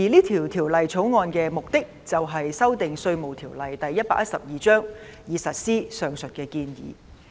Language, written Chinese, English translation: Cantonese, 《條例草案》的目的便是修訂《稅務條例》，以實施上述建議。, The purpose of the Bill is to amend the Inland Revenue Ordinance Cap . 112 in order to give effect to this proposal